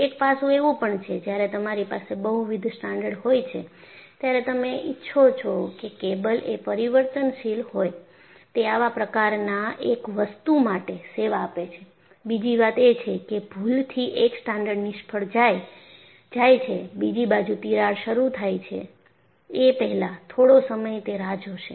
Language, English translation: Gujarati, See, one aspect is when you have multiple strands, you want the cable to be flexible;it serves one such purpose; the other such purpose is even if by mistake one strand fails, there would be some time lag before another crack initiates